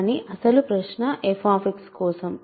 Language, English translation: Telugu, But original question is for f X